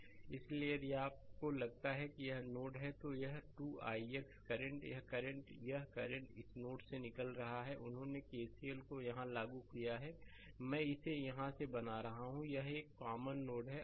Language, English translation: Hindi, Therefore, if you think that this is the node, then this 2 i x current; this current, this current is coming out from this node; this they applying KCL here that I making it here, it is a common node right